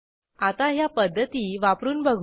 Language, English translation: Marathi, Now let us try out these methods